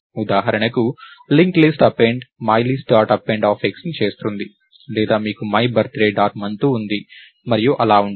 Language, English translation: Telugu, linked list append would do myList dot append of x or you have myBirthday dot month and so, on